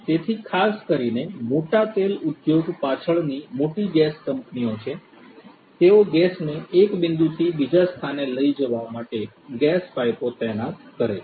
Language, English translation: Gujarati, So, particularly the big oil industry is the back big gas companies, they deploy these gas pipes for carrying the gas for carrying oil from one point to another